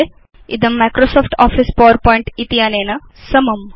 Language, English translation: Sanskrit, It is the equivalent of Microsoft Office PowerPoint